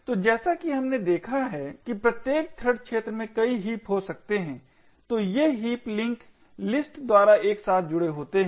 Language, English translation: Hindi, So as we have seen before each thread arena can contain multiple heaps, so these heaps are linked together by linked list